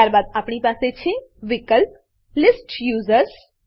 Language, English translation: Gujarati, Then we have the option List Users